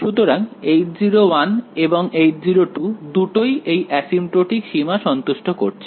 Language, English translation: Bengali, So, both H 0 1 and H 0 2 seem to satisfy at least the asymptotic limit ok